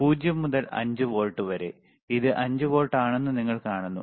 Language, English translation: Malayalam, 0 to 5 volts, you see this is 5 volts only